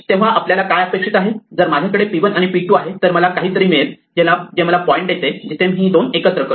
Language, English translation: Marathi, So, what we would expect that if I had p 1 and if I had p 2 then I would get something which gives me a point where I combine these two